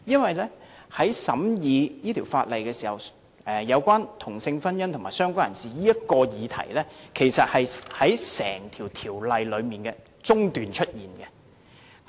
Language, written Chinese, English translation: Cantonese, 在審議這項《條例草案》時，有關"同性婚姻"和"相關人士"的議題其實是在審議過程的中段出現。, When scrutinizing the Bill the issues relating to same - sex marriage and related person actually arose halfway through the process